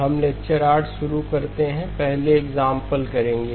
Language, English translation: Hindi, We begin lecture 8, we will do an example first